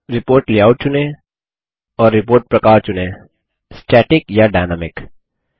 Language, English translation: Hindi, Select report layout and Choose report type: static or dynamic